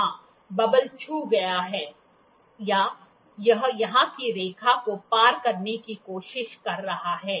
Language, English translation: Hindi, Yes, the bubble has touched or, it is trying to cross the line here